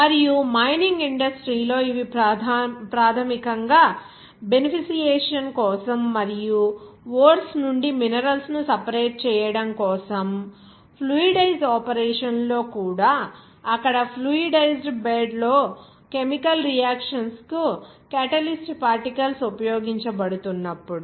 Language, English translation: Telugu, And those are very important in the Mining industry basically for beneficiation and also a separation of the minerals from the ores, even in fluidize operation, whenever catalyst particles are being used for the chemical reactions in fluidized bed there